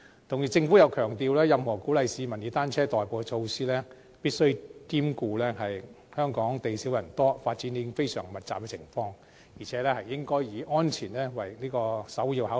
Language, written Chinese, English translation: Cantonese, 同時，政府又強調，任何鼓勵市民以單車代步的措施，必須兼顧香港地少人多，以及發展已經非常密集的情況，並且應該以安全作為首要考慮。, At the same time the Government has also stressed that when formulating any measures for encouraging people to adopt bicycles as an alternative mode of transport it must take account of the fact that Hong Kong is a tiny place with many people and a very high density of development already and should make safety its primary consideration